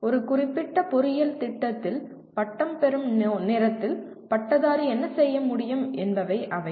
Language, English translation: Tamil, They are what the graduate should be able to do at the time of graduation from a specific engineering program